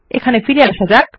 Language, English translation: Bengali, Lets go back here